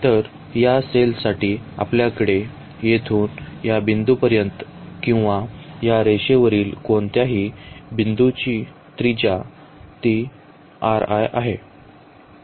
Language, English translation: Marathi, So, for this cell we have the radius from here to this point or any point on this line here it is r i